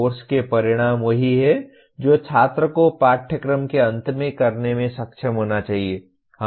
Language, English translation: Hindi, Course outcomes are what the student should be able to do at the end of a course